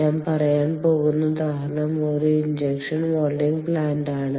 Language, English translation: Malayalam, and the example that i am going to talk about is an injection molding plant